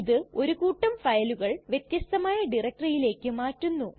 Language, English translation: Malayalam, It also moves a group of files to a different directory